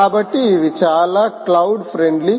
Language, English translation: Telugu, so they are very cloud friendly